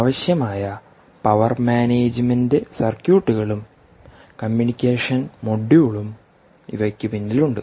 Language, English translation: Malayalam, behind these are all the required power management circuits and the communication module